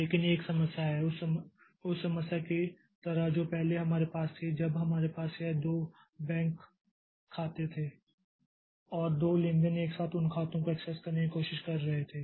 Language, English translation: Hindi, But there is an issue just like that problem that we had previously when we had this two bank accounts and two transactions trying to access those accounts simultaneously